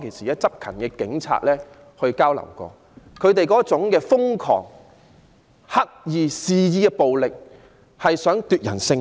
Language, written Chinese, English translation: Cantonese, 有執勤的警員當時向我表示，示威者瘋狂、刻意肆意的暴力旨在奪人性命。, A police officer who were on duty told me that the protesters frantic deliberate and reckless violence intent to kill